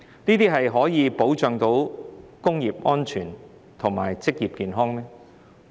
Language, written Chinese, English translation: Cantonese, 這樣可以保障工業安全和職業健康嗎？, Can this arrangement safeguard industrial safety and occupational health?